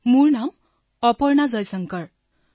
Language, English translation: Assamese, My name is Aparna Jaishankar